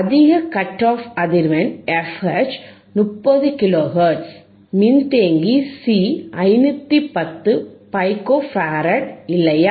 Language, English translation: Tamil, Higher cut off frequency f H, is 30 kilo hertz, capacitor C is 510 pico farad, right